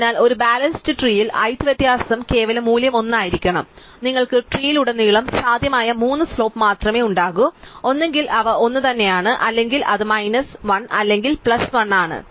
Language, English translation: Malayalam, So, in a balanced tree since the height difference absolute value must be 1, you can only have three possible slopes throughout the tree, either there is no slope they are exactly the same or it is minus 1 or plus 1